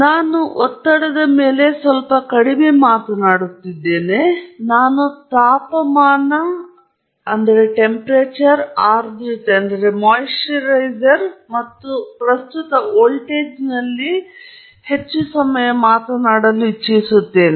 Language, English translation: Kannada, I will look a little less on pressure, I will spend more time on temperature, humidity, and current and voltage